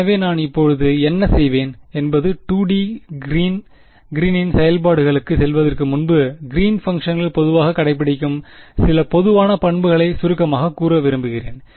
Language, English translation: Tamil, So, what I will do now is before we go to 2 D Green’s functions I want to summarize a few general properties that Green’s functions obey in general ok